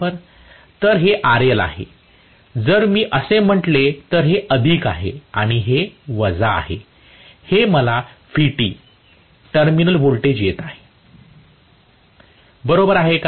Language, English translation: Marathi, so this is RL, this is if I say this is plus and this is minus I am going to have this as Vt, the terminal voltage Right